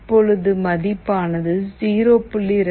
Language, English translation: Tamil, Now, it is coming to 0